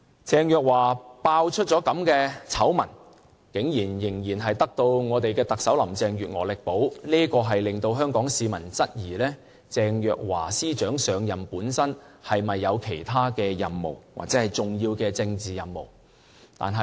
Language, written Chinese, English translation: Cantonese, 鄭若驊被揭發出如此醜聞，竟然仍然得到特首林鄭月娥力保，令香港市民質疑鄭若驊司長上任本身是否有其他任務，或者重要的政治任務。, After Ms Teresa CHENG was exposed to be involved in such scandals she was still backed by Chief Executive Carrie LAM . This has aroused suspicion from the Hong Kong people that Secretary for Justice Teresa CHENGs assumption of this position involves other missions or significant political missions